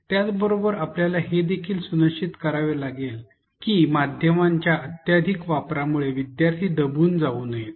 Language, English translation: Marathi, At the same time we have to ensure that the students do not get overwhelmed with the excessive use of media